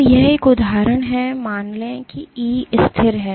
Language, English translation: Hindi, So, let us assume E is constant